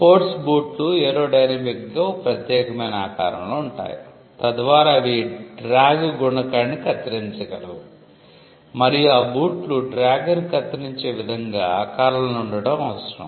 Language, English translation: Telugu, Sport shoes are shaped aerodynamically so that they can cut the drag coefficient and it is necessary for shoes to be shaped in a way in which they can cut the drag